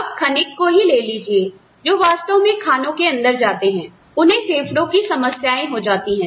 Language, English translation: Hindi, People, who actually go into the mines, develop lung problems